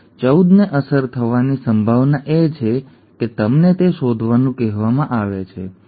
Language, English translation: Gujarati, The probability that 14 is affected is what you are asked to find, okay